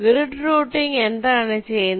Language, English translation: Malayalam, so what does grid routing say